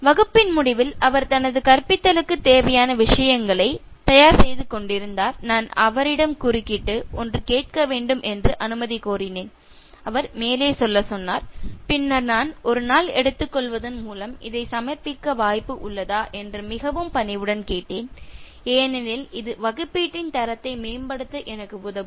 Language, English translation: Tamil, At the end of the class, he was just arranging his teaching material, so I interrupted, sought permission to ask him something, then he said fine, go ahead, then very politely I asked him whether there is a possibility of submitting this by taking one more day because it will help me to improve the quality of the assignment